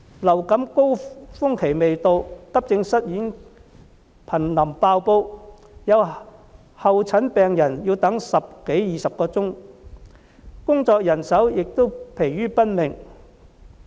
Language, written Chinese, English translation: Cantonese, 流感高峰期未到，急症室已瀕臨"爆煲"，有候診病人要等候十多二十小時，醫護人員也疲於奔命。, Before the onset of the winter influenza peak the accident and emergency departments in hospitals are so crowded that some patients need to wait for nearly 20 hours and the health care personnel are also exhausted